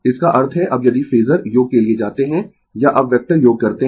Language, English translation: Hindi, That means, now if you go for phasor sum or now you do vector sum